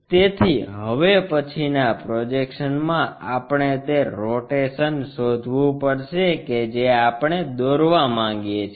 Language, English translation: Gujarati, So, in the next projection we have to draw what is that rotation we are really looking for